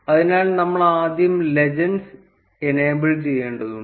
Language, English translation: Malayalam, So, we need to first enable the legends